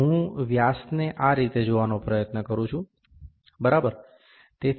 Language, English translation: Gujarati, I try to see the diameter like this, ok